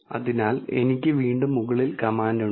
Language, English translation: Malayalam, So, I again have the command on the top